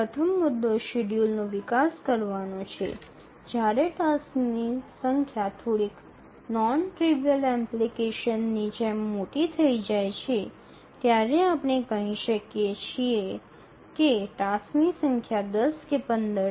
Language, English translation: Gujarati, The first point is that how do we really develop the schedule when the number of tasks become large, like slightly non trivial application where the number of tasks are, let's say, 10 or 15